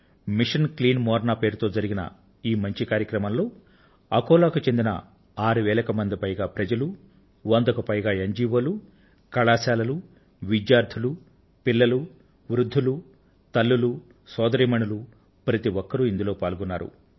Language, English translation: Telugu, This noble and grand task named Mission Clean Morna involved more than six thousand denizens of Akola, more than 100 NGOs, Colleges, Students, children, the elderly, mothers, sisters, almost everybody participated in this task